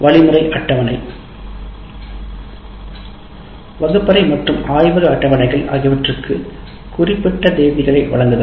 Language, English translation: Tamil, And then you have instruction schedule, classroom and laboratory schedules giving specific dates now